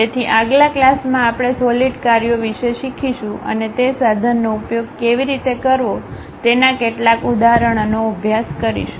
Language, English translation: Gujarati, So, in the next class, we will learn about solid works and practice couple of examples how to use that tool